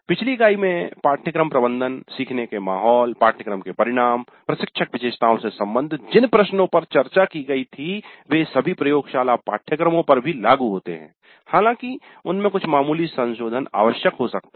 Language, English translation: Hindi, Questions which were discussed in the last unit related to course management, learning environment, course outcomes, instructor characteristics are all applicable to laboratory courses also, perhaps with some minor modifications were required